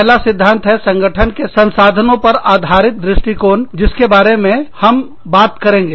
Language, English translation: Hindi, The first theory, that we will be talking about, is the resource based view of the firm